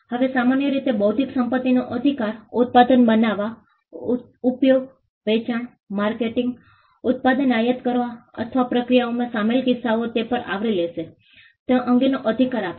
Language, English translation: Gujarati, Now, normally an intellectual property right will confer the right with regard to making, using, selling, marketing, importing the product or in case the processes involved it will cover that as well